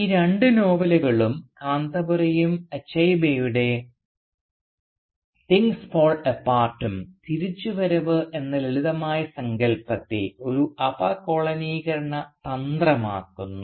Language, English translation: Malayalam, Thus these two novels, both Kanthapura and Achebe’s Things Fall Apart, make the notion of a simplistic return problematic as a decolonisation strategy